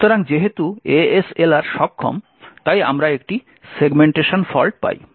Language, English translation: Bengali, So, because ASLR is enabled therefore we get a segmentation fault